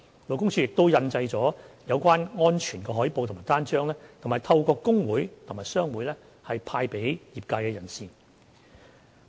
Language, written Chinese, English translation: Cantonese, 勞工處亦印製了有關安全海報及單張，並已透過工會及商會派發給業界人士。, LD also produced relevant safety posters and leaflets and disseminated them to the industry through trade associations and workers unions